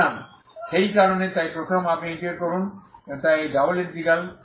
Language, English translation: Bengali, So for that reason so first you integrate so this is double integral